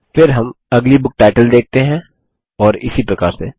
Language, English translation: Hindi, Then we will see the next book title, and so on